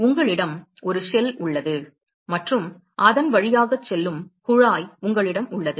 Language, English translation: Tamil, the way it looks like is you have a shell and you have a tube which is going through it